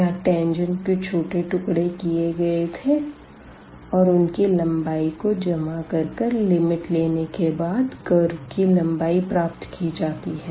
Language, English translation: Hindi, And, and here we have taken the pieces of the tangent and then we have added them after taking the limit we got the curve length